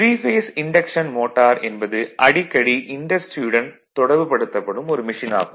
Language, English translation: Tamil, So, 3 phase induction motors are the motor most frequency encountered in industry